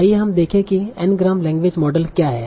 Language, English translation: Hindi, So let us see what are my Ngram language models